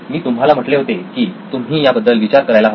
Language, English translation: Marathi, I said you should be thinking about this